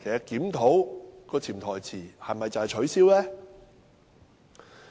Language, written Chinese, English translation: Cantonese, 檢討的潛台詞是否要把它取消？, Does the review imply that it will be abolished?